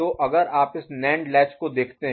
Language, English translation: Hindi, So, in the NAND latch if you look at it